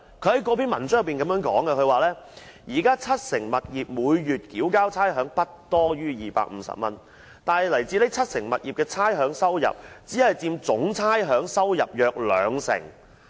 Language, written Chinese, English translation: Cantonese, 他在該篇文章中表示，當時七成物業每月繳交差餉不多於250元，但來自該七成物業的差餉收入，只佔總差餉收入約兩成。, In the article he said that 70 % of properties had been liable to a monthly rate of below 250 while the revenue from the rates levied on those 70 % of properties had only accounted for about 20 % of the total